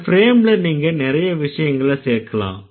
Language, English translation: Tamil, So, in this frame you can add a lot of things